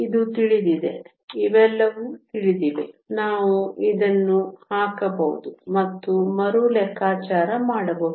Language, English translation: Kannada, This is known; these are all known, we can put this and recalculate